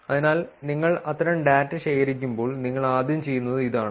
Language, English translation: Malayalam, So, this is what you do first when you collect such data